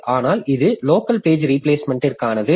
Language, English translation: Tamil, So, this is for the local page replacement